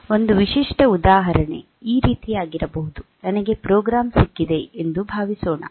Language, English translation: Kannada, A typical example; can be like this say, we have got suppose we have got a program